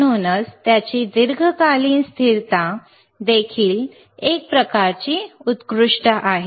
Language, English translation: Marathi, So, that is why, it is long term stability is also kind of excellent,